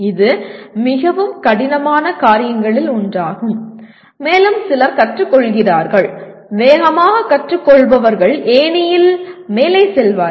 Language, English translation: Tamil, That is the one of the toughest things to do and some people learn and those who learn fast will move up in the ladder